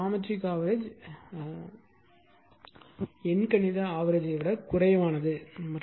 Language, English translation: Tamil, So, geometric mean is less than the arithmetic mean except they are equal